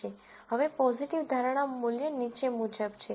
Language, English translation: Gujarati, Now, positive predictive value is the following